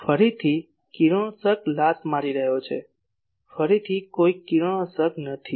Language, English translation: Gujarati, Again radiation is kicking up , again there are no radiation